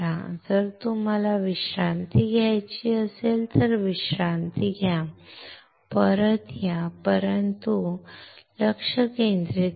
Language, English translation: Marathi, If you want to take a break, take a break come back, but come back and concentrate